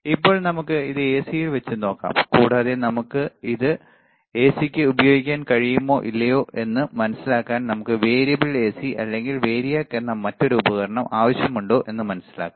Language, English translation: Malayalam, Now, let us let us keep it to AC, and to understand whether we can use it for AC or not we need to have another equipment called variable AC or variAC , which is V A R I A C